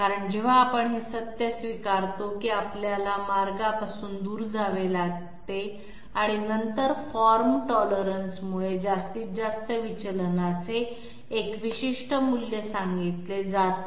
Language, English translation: Marathi, This is because whenever we are accepting the fact that we have to deviate from the path, and then from formed tolerance a particular value of the maximum deviation is you know stated